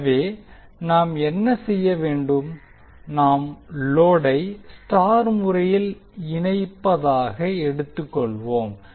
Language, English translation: Tamil, So what we will do we will assume that we have the load as star connected